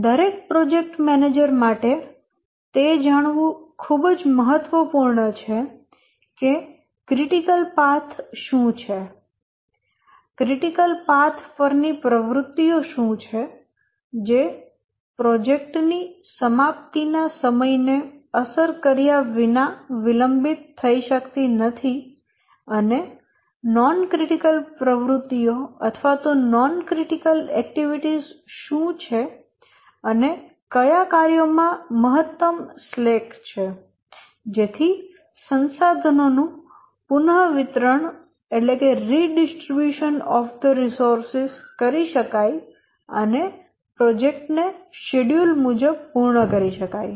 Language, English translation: Gujarati, And therefore for every project manager it is very important to know what are the critical paths, what are the activities on the critical path which cannot get delayed without affecting the project completion time, and what are the non critical paths and which tasks have the maximum slack so that he can have little leeway in redistributing the resources if required so that the critical activities at least proceed without delay and therefore you can meet the project schedule